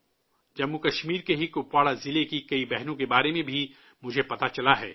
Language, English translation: Urdu, I have also come to know of many sisters from Kupawara district of JammuKashmir itself